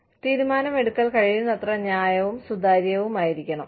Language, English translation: Malayalam, And, the decision making, should be as fair and transparent, as possible